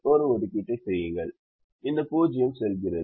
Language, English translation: Tamil, make an assignment, this zero goes